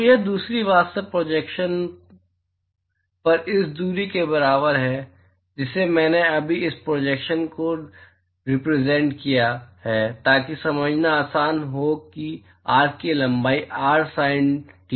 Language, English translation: Hindi, So, this distance is actually equals to this distance on the projection I have just represented this projection so that is easy to understand that the length of arc is r sin theta d dphi